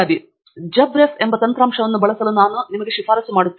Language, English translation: Kannada, And that’s were I would recommend you to use the software called JabRef